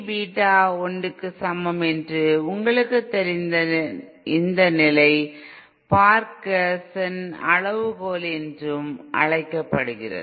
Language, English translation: Tamil, This condition that you know this A V Beta is equal to 1 is also known as Barkhausen criteria